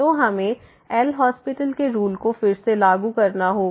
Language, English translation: Hindi, So, we have to take we have to apply the L’Hospital’s rule again